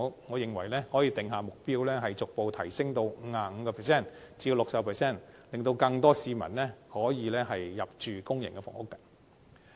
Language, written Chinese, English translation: Cantonese, 我們可以訂下目標，逐步將比例提升至 55% 至 60%， 令更多市民可以入住公營房屋。, We can set a target to gradually increase the proportion to 55 % to 60 % in order to allow more citizens to live in public housing